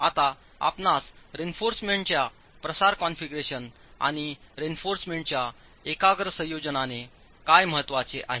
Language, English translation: Marathi, Now what do you mean by a spread configuration of reinforcement and a concentrated configuration of reinforcement